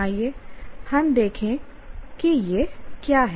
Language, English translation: Hindi, Let us look at what it is